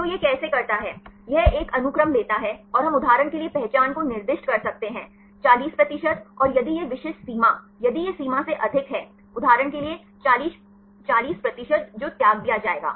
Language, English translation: Hindi, So, how it does, it takes a sequences, and we can specify the identity for example, 40 percent and if this specific threshold, if it is more than the threshold, for example, 40 percent that will be discarded